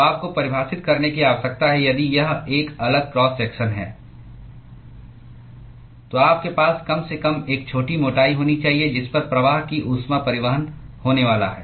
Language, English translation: Hindi, So you need to define if it is a varying cross section, then you need to have at least a small thickness at which the conductive heat transport is going to occur